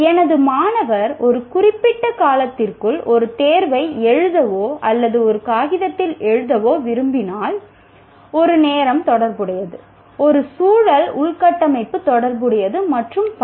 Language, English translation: Tamil, Like if you want my student to write an examination or write on a piece of paper over a period of time, there is a time associated, there is a context infrastructure is associated, and so on